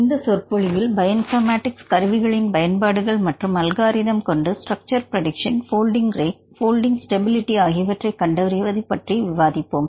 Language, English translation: Tamil, In this lecture, we will discuss about the applications of the bioinformatics tools or algorithms to structure prediction and folding rates and folding stability and so on